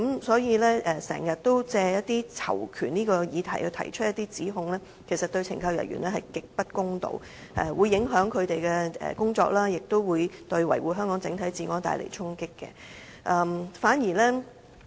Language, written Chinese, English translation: Cantonese, 所以，經常借囚權議題提出指控，其實對懲教人員極不公道，會影響他們的工作，亦對維護香港整體治安帶來衝擊。, So it is actually very unfair to accuse CSD staff frequently on the pretext of safeguarding PICs rights . This will affect their work and deal a great blow to maintaining overall law and order in Hong Kong